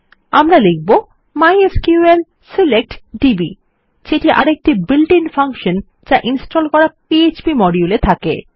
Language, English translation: Bengali, Well say mysql select db which is another built in function when you have the php module installed